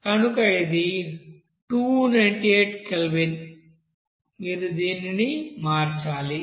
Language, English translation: Telugu, So it will be 298 Kelvin, you have to convert it